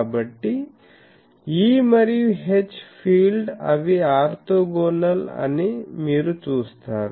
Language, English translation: Telugu, So, you see that E and H field they are orthogonal